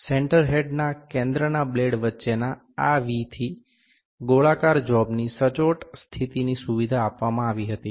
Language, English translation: Gujarati, This V between the blades of the center of the center had facilitated accurate positioning of the circular job